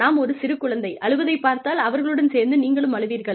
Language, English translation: Tamil, If you see a little child crying, you will cry with them